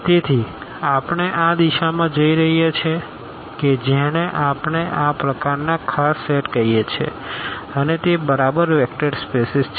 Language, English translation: Gujarati, So, we are going into this direction that what do we call these such special sets and that is exactly the vector spaces coming into the picture